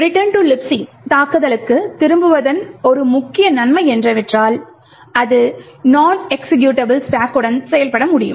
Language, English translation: Tamil, One major advantage of the return to LibC attack is that it can work with a non executable stack